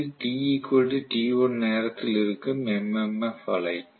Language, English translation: Tamil, So this is the MMF wave at time t equal to t1